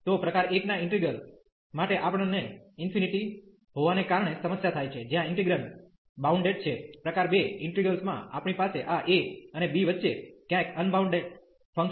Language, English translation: Gujarati, So, for integral of type 1 we have the problem because of the infinity where the integrand is bounded, in type 2 integral we have a unbounded function somewhere between this a and b